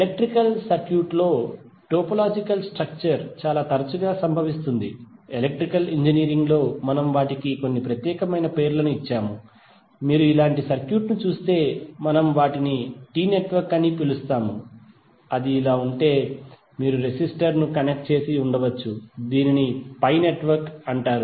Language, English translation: Telugu, Sometimes the topological structure in the electrical circuit occur so frequently that in Electrical Engineering we have given them some special names, like if you see circuit like this we called them as T network, if it is like this were you may have resistor connected like this then it is called pi network